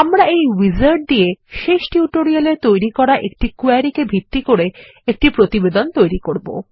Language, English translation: Bengali, We will go through the wizard to create a report based on a query we created in the last tutorial